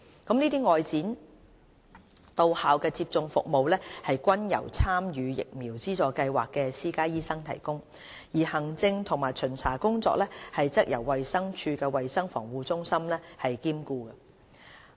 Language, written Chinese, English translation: Cantonese, 這些外展到校接種服務均由參與疫苗資助計劃的私家醫生提供，而行政及巡查工作則由衞生署衞生防護中心兼顧。, While these school outreach vaccination services were provided by private doctors enrolled in VSS the logistics and inspection of services were carried out by the Centre for Health Protection CHP of DH